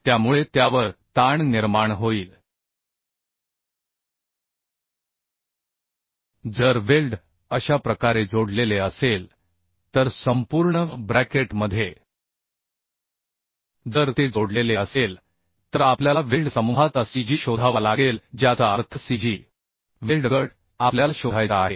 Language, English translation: Marathi, Now if weld is connected in this way so in the bracket throughout the bracket if it is connected then we have to find out the cg of the weld group that means cg of the weld group we have to find out